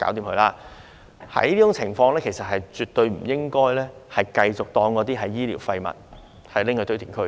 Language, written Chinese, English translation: Cantonese, 在這種情況下，其實也絕對不應該繼續將嬰兒遺骸視為醫療廢物，運到堆填區。, In such cases it is absolutely inappropriate to go on treating the abortus remains as medical waste which would be dumped at landfills